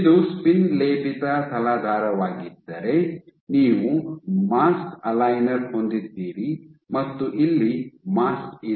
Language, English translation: Kannada, So, if this is your spin coated substrate you have your mask aligner and here is your mask